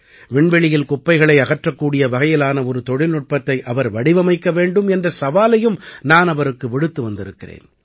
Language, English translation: Tamil, I have also given him a challenge that they should evolve work technology, which can solve the problem of waste in space